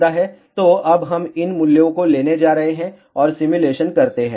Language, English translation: Hindi, So, now, we are going to take these values and do the simulation